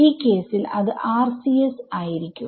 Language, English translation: Malayalam, So, in this case it will be RCS rights